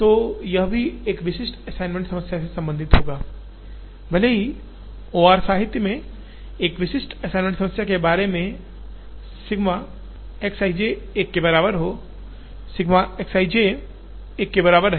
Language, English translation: Hindi, So, this would still be related to a typical assignment problem, even though a typical assignment problem in the OR literature would talk about sigma X i j is equal to 1, sigma X i j is equal to 1